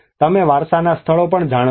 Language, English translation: Gujarati, You know on the heritage sites